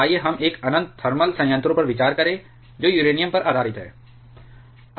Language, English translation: Hindi, Let us consider an infinite thermal reactor which is operating based upon uranium